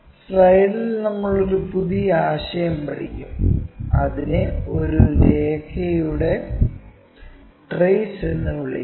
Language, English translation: Malayalam, And we will learn a new concept in the slide, it is what we call trace of a line